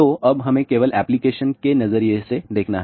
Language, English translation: Hindi, So, now, let us just look at the application point of view